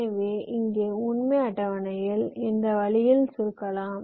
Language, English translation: Tamil, so here i can make my truth table short in this way